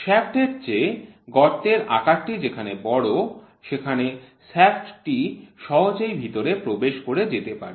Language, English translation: Bengali, Where the hole size is larger than the shaft so the shaft can slip inside